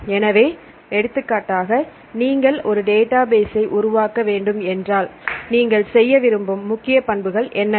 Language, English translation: Tamil, So, for example, if you want to develop a database right, what are the major characteristics you like to do